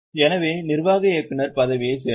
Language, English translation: Tamil, So, belongs to the executive director position